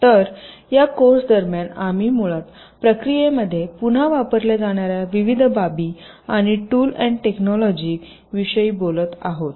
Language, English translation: Marathi, so during this course we shall basically be talking about the various aspects and the tools and technologies that reused in the process